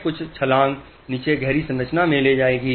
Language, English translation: Hindi, Let's take a few jumps down into the deeper structure